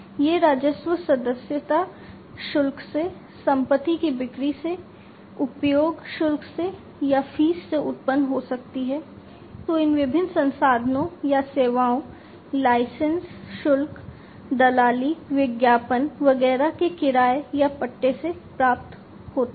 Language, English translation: Hindi, These revenues could be generated from sales of assets from subscription fees, from usage fees or, from fees, that are obtained from the rental or the leasing out of these different resources or the services, the licensing fees, the brokerage, the advertising, etcetera